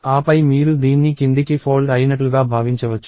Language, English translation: Telugu, And then you can think of this as folding down